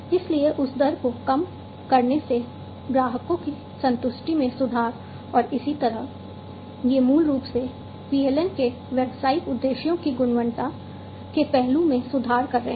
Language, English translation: Hindi, So decreasing that rate improving the customer satisfaction and so on, these are basically improving quality aspect of the business objectives of PLM